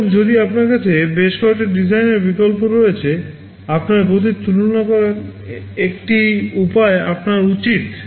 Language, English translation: Bengali, And if you have several design alternatives, you should have a way to compare their speeds